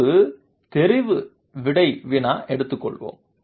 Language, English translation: Tamil, Let us take one multiple choice question